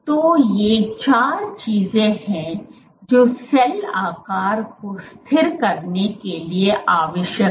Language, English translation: Hindi, So, these are the four things which are required for stabilizing cell shape